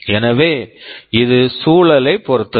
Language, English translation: Tamil, So, it depends on the environment